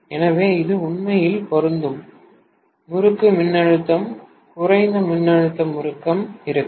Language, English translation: Tamil, So, this is actually applying the voltage to the winding which will be the low voltage winding